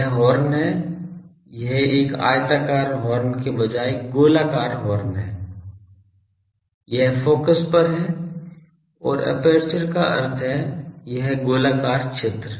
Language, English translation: Hindi, This is the horn this is the circular horn instead of a rectangular horn, it is at the focus and aperture means this circular zone